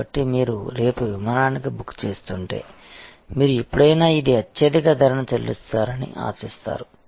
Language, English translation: Telugu, So, if you are booking for a flight for tomorrow, then you will always expect that this, you will be almost paying the highest price